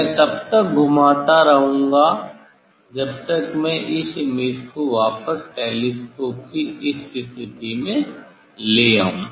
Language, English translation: Hindi, I will rotate as long as I am getting back this image at this position of the telescope